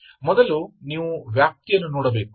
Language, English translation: Kannada, So first of all you have to see the domain